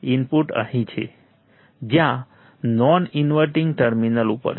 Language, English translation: Gujarati, Input is here where on the non inverting terminal